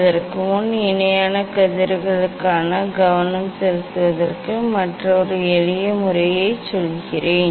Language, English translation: Tamil, Before that let me tell another simple method to make to get the focusing for the parallel rays